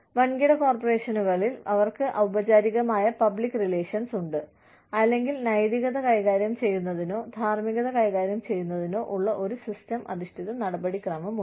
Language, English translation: Malayalam, In large corporations, they have formal public relations, or, they have a systems based procedure, for dealing with, managing ethics, or dealing with ethics